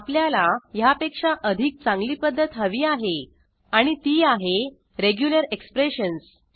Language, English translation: Marathi, Obviously there needs to be a better way and that way is through Regular expressions